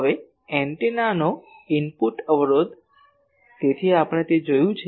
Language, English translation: Gujarati, Now, the input impedance of an antenna so, we have seen it